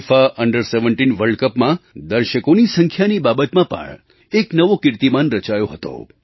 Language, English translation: Gujarati, FIFA Under 17 World Cup had created a record in terms of the number of viewers on the ground